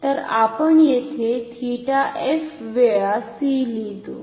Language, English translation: Marathi, So, here we write theta f times c ok